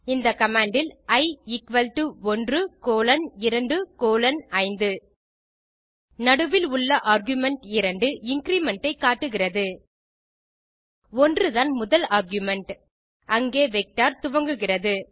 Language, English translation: Tamil, In this command, i is equal to 1 colon 2 colon 5, We see that the middle argument of 2 indicates the increment